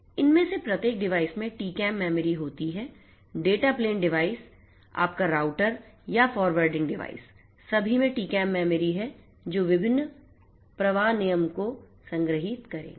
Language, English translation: Hindi, That are there the TCAM memory are there in each of these devices; that means, the data plane devices; that means, your router or the forwarding devices you have all these TCAM memory that are there which will store the different flow rules